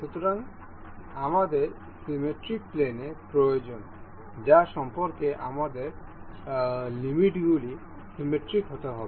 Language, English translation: Bengali, So, one we need to we need the symmetry plane about which the our limits has to have to be symmetric about